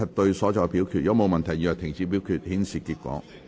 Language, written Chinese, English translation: Cantonese, 如果沒有問題，現在停止表決，顯示結果。, If there are no queries voting shall now stop and the result will be displayed